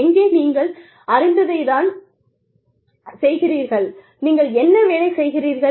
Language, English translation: Tamil, Where, you are doing the same thing you know, what you are working with